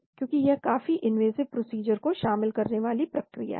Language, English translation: Hindi, Because it is quite an involved type of invasive procedure